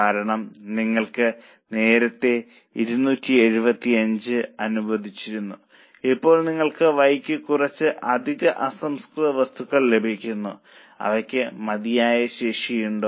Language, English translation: Malayalam, Because now earlier you were allowing 275, now you are getting some extra raw material for why and they are having enough capacity